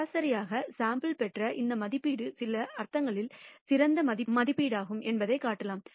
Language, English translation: Tamil, And we can show that this estimate that we obtained of the sample the average is the best estimate in some sense